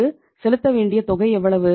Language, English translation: Tamil, How much is due to be paid